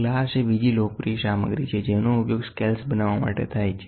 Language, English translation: Gujarati, Glass is another popular material which is used for making scales